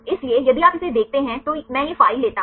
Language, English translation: Hindi, So, if you see this one if I take this file